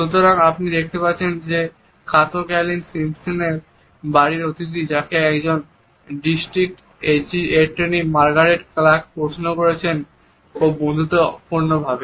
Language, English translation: Bengali, So, you are going to see Kato Kaelin is houseguest of Urge a sentence who is being questioned by Margaret Clark, a district attorney in an unfriendly fashion